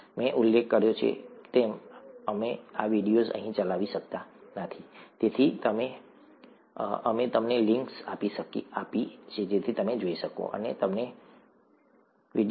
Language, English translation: Gujarati, As I mentioned, we cannot play these videos here, therefore we have given you the links so that you can go and take a look at them